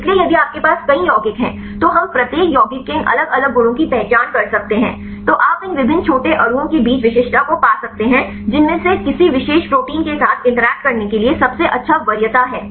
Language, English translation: Hindi, So, if you have several compounds then we can identify these different affinities of each compound then you can find the specificity right among these different small molecules, which one has the best preference right to interact with a particular protein